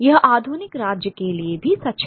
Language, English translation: Hindi, This is true of the modern state as well